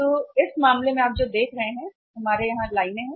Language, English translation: Hindi, So in this case what you see is we had lines here